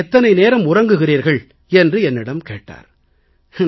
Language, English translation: Tamil, He asked me, "How many hours do you sleep